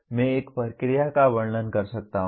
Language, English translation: Hindi, I can describe a procedure